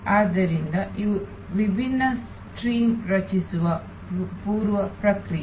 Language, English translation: Kannada, So, these are preprocessing creating different streams